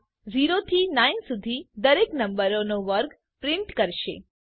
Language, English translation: Gujarati, This will print the square of each number from 0 to 9